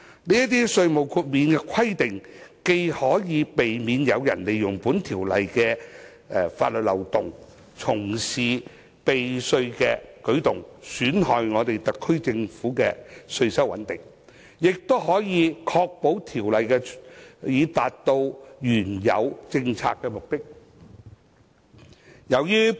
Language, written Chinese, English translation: Cantonese, 這些稅務豁免的規定既可避免有人利用《條例草案》的法律漏洞，從事避稅的舉動，損害香港特區政府的稅收穩定，亦可確保《條例草案》達到原有政策的目的。, These tax exemption requirements can on the one hand prevent the exploitation of the legal loophole of the Bill for tax avoidance purpose which will harm the tax stability of the Hong Kong SAR Government and ensure that the Bill will achieve its original policy objective on the other